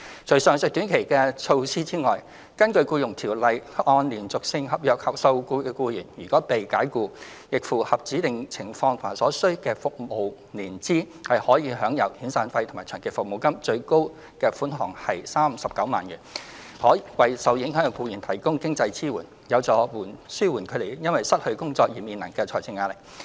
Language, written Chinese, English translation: Cantonese, 除上述短期支援外，根據《僱傭條例》，按連續性合約受僱的僱員如被僱主解僱，並符合指定情況及所需的服務年資，可享有遣散費或長期服務金，最高款額為39萬元，可為受影響僱員提供經濟支援，有助紓緩他們因失去工作而面臨的財政壓力。, In addition to the above short - term assistance according to the Employment Ordinance if an employee who has been employed under a continuous contract is dismissed and meets the specified conditions and the qualifying length of service heshe is entitled to severance payment SP or long service payment LSP . The maximum amount of SP and LSP is 390,000 . These provisions would provide economic support to the employees concerned to help alleviate their financial hardship caused by the loss of employment